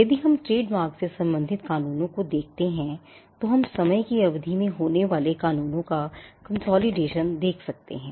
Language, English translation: Hindi, If we look at the laws pertaining to trademarks, we can see a consolidation of laws happening over a period of time